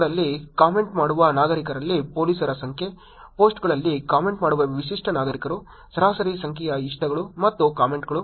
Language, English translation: Kannada, Number of police in citizen who comment in posts: distinct citizens who comment in posts, average number of likes and comments